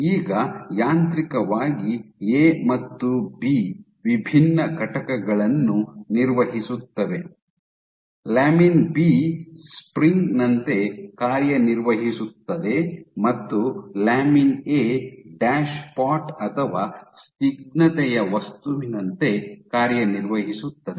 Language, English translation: Kannada, Now mechanically A and B operated different entities lamin B operates like a spring and lamin A operates like a dashpot or of viscous object